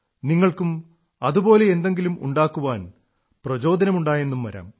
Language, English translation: Malayalam, It is possible that you too get inspired to make something like that